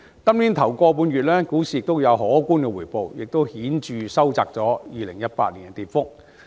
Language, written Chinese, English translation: Cantonese, 本年首一個半月股市有可觀的回報，亦顯著收窄了2018年的跌幅。, In the first one and a half month of the year the stock market reported a considerable return and significantly narrowed the decline in 2018